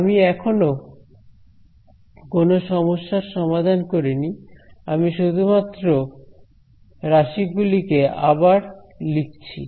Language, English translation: Bengali, I have not solved any problem I am just re writing these terms